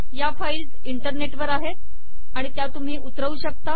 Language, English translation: Marathi, These files are on the web and one can download them